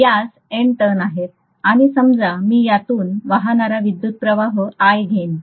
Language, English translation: Marathi, So let us say it has N turns and let us say I am going to have an electric current of I flowing through this, okay